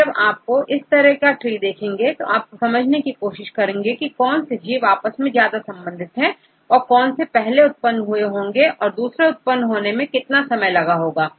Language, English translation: Hindi, So, when you make these type of trees you can try to understand which organisms are close to each other and which organism emerges first and how long it takes to have the next one and so on